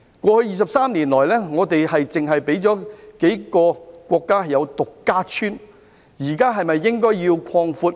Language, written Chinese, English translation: Cantonese, 過去23年來，我們只讓數個國家"獨家村"，現時是否應該擴闊？, Over the past 23 years we have covered a few countries exclusively . Should we now expand our coverage?